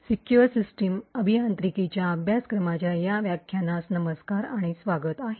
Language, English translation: Marathi, Hello and welcome to this lecture in the course for Secure System Engineering